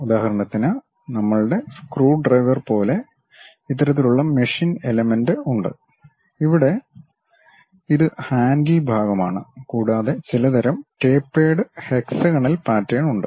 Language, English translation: Malayalam, For example, we have such kind of machine element, more like our screwdriver type, where this is the handle portion and there is some kind of tapered hexagonal kind of pattern